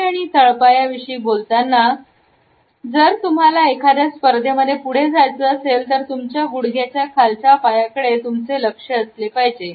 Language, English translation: Marathi, Topic legs and feet, if you want to leg up on your competition pay attention to what is going on below the knees